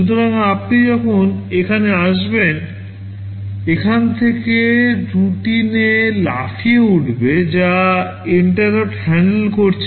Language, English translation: Bengali, So, when you come here, there will be a jump from here to the routine which is handling the interrupt